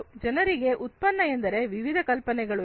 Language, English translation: Kannada, People have different ideas regarding a product